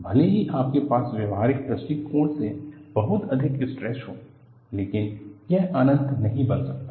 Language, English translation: Hindi, Even though, you have very high stresses from a practical point of view, it cannot become infinity